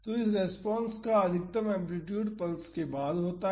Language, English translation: Hindi, So, the maximum amplitude of this response happens after the pulse